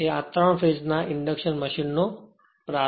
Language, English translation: Gujarati, So, so 3 phase induction motor will start